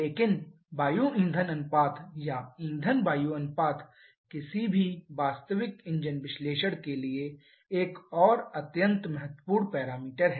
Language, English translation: Hindi, But the air fuel ratio or fuel air ratio is another extremely important parameter for any real engine analysis